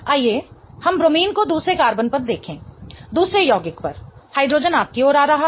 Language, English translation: Hindi, Let us look at the bromine here on the other carbon, on the other compound